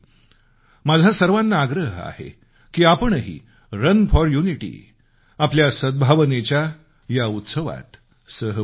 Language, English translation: Marathi, I urge you to participate in Run for Unity, the festival of mutual harmony